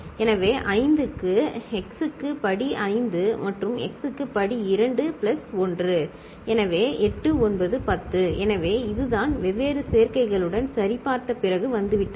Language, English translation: Tamil, So, for 5, x to the power 5 plus x to the power 2 plus 1; so, 8 9 10, so this is what has been arrived at after checking with different combinations